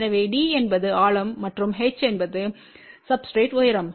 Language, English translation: Tamil, So, for d is the depth and h is h height of the substrate ok